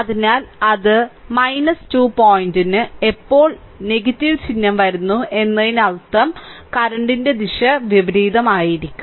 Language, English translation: Malayalam, So, it will come minus 2 point when minus sign is coming means the direction of the current will be reverse right